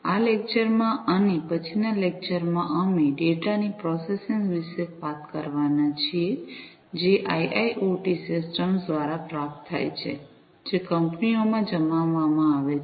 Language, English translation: Gujarati, In this lecture and the next, we are going to talk about the processing of the data, that are received through the IIoT systems, that are deployed in the companies